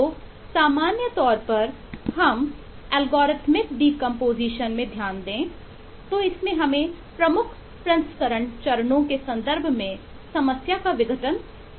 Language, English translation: Hindi, so the main thing here to note in algorithmic deompostion is you will decompose the problem in terms of key processing steps